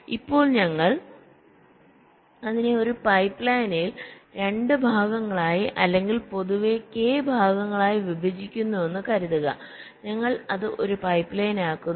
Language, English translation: Malayalam, ok, now suppose we break it into two parts in a pipe line, or k parts in general, we make it in a pipe line